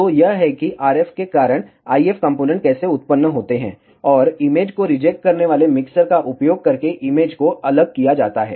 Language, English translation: Hindi, So, this is how resulting IF components because of the RF, and image are separated out using an image reject mixers